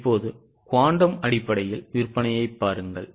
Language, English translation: Tamil, Now look at the sale in terms of quantum